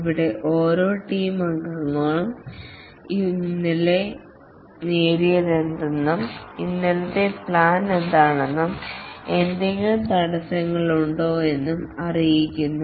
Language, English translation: Malayalam, Here each team member informs what was achieved yesterday and what is the plan for today and are there any obstacles